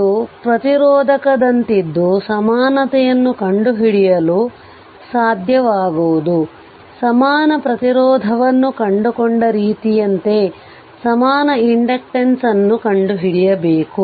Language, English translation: Kannada, So, it is like a resistor you have to find out equivalent, the way we have found out equivalent resistance there also you have to find out equivalent inductance